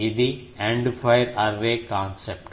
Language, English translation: Telugu, This is the End fire Array concept